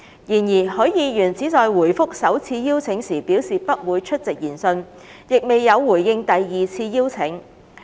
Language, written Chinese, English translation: Cantonese, 然而，許議員只在回覆首次邀請時表示不會出席研訊，亦未有回應第二次邀請。, However Mr HUI only said that he would not attend the hearing in his reply to the first invitation and did not respond to the second invitation